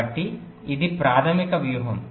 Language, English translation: Telugu, right, so this is the basic strategy